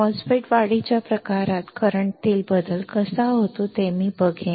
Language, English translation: Marathi, I will see how the change of current occurs in enhancement type MOSFET